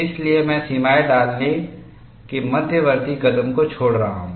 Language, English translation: Hindi, So, I am skipping the intermediate step of putting the limits